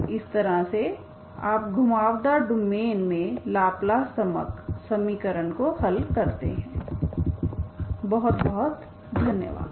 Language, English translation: Hindi, So this is how you solve Laplace equation in a curved domains